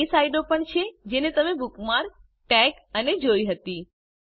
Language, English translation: Gujarati, * These are also the sites that youve bookmarked, tagged, and visited